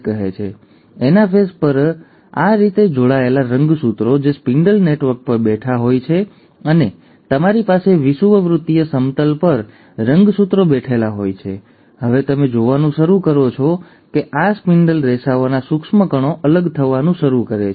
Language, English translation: Gujarati, Now it is at the anaphase that these attached chromosomes, which are sitting on a spindle network and you have the chromosomes sitting at the equatorial plane, that you now start seeing that this, the microtubules of the spindle fibres start pulling apart